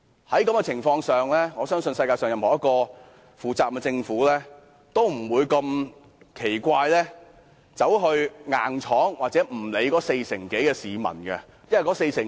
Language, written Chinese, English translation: Cantonese, 在這情況下，我相信任何一個負責任的政府，都不會強硬地不理會四成多市民的反對意見。, Under such circumstances I believe that any responsible government will not firmly refuse to take into account the opposing views of more than 40 % of the public